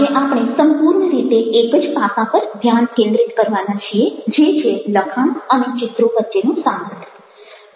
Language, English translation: Gujarati, today we are going to focus entirely on one aspect, which is the relationship between texts and images